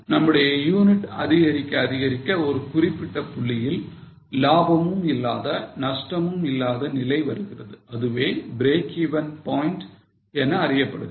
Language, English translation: Tamil, As our units increase, a point comes where there is neither profit nor loss that is known as break even point